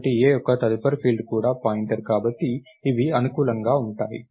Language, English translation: Telugu, So, A's next field is also a pointer so, these are compatible